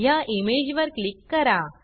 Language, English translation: Marathi, I will click on this image now